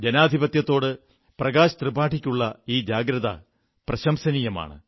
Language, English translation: Malayalam, Prakash Tripathi ji's commitment to democracy is praiseworthy